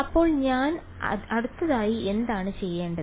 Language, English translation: Malayalam, So, what do I do next